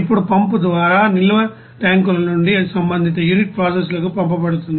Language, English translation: Telugu, Now from storage tanks by pump it is sent to respective unit of processes